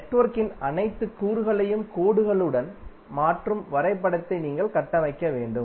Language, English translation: Tamil, You have to simply construct the graph which will replace all the elements of the network with lines